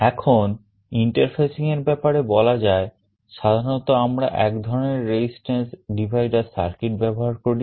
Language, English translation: Bengali, Now, talking about interfacing very typically we use some kind of a resistance divider circuit